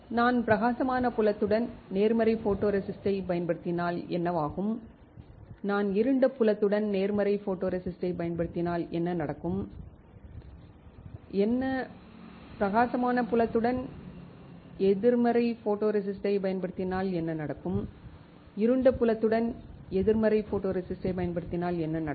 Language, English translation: Tamil, What if I use positive photoresist with bright field, what will happen if I use positive photoresist with dark field, what will happen, if I use negative photoresist with bright field and what will happen if I use negative photoresist with dark field What is prebaking, soft baking hard baking